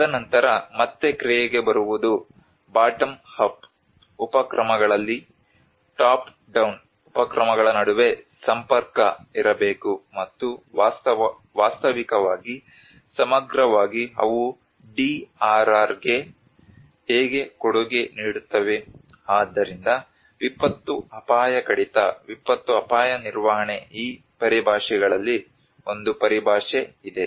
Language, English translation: Kannada, And then coming to the action which is again there should be an interface between the top down initiatives on the bottom up initiatives and how there is actually in holistically they contribute to the DRR , so there have been a jargon in these terminologies of disaster risk reduction, disaster risk management